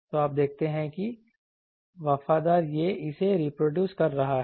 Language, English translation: Hindi, So, you see that faithful it is reproducing this